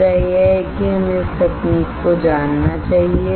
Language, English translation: Hindi, The point is that we should know this technique